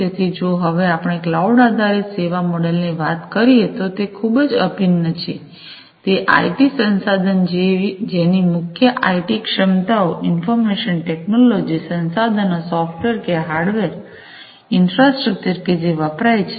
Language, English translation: Gujarati, So, if we are talking about the cloud based business model, what is very integral is the core competencies like the IT resources IT means, Information Technology resources, the software that is used, the hardware infrastructure that is used